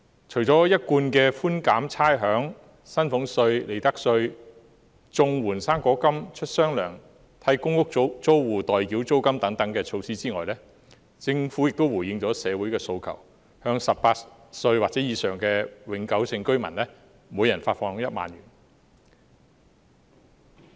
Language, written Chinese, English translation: Cantonese, 除了一貫的寬減差餉、薪俸稅及利得稅；綜援、"生果金"出"雙糧"；替公屋租戶代繳租金等措施外，政府亦回應了社會的訴求，向18歲或以上的永久性居民每人發放1萬元。, Apart from the usual measures of reduction of rates salaries tax and profits tax double payment for recipients of the Comprehensive Social Security Assistance and fruit grant and paying the rent for tenants of public rental units the Government has also responded to social aspirations by the disbursement of 10,000 to each permanent resident aged 18 or above . Basically I support this kind of measures